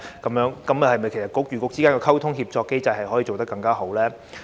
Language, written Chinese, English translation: Cantonese, 其實政策局與政策局之間的溝通協作機制怎樣可以做得更好呢？, How can the communication and coordination mechanism among Policy Bureaux be ameliorated?